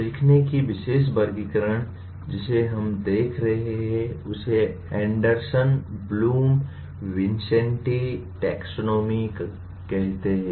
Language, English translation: Hindi, The particular taxonomy of learning that we are looking at will be called Anderson Bloom Vincenti Taxonomy